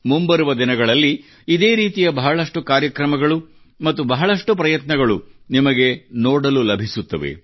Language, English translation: Kannada, In the days to come, you will get to see many such campaigns and efforts